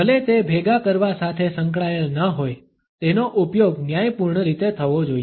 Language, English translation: Gujarati, Even though it is not associated with clusterings, it should be used in a judicious manner